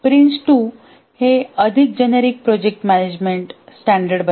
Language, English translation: Marathi, Prince 2 is a popular project management standard